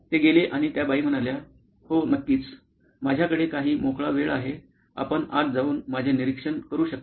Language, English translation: Marathi, So, they went and the lady said yes of course, come on anytime I have some free time you can walk in and observe me